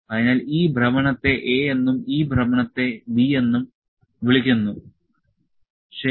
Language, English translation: Malayalam, So, this rotation let you know this rotation is called as A; this rotation is called as A and this rotation is called as B, ok